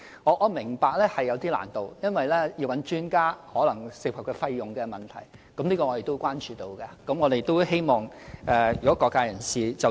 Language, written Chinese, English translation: Cantonese, 我明白這是有一點難度的，因為諮詢專家可能涉及費用的問題，這亦是我們和各界人士所關注的。, I understand there is some difficulty here because expert advice may cost money and this is actually the common concern of us of the various sides